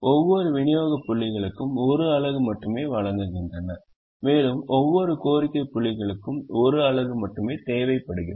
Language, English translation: Tamil, each supply points supplies only one unit and each demand point requires only one unit